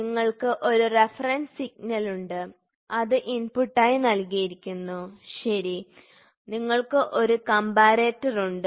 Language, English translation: Malayalam, So, you have a reference signal which is given as an input, ok, then, you have you have a comparator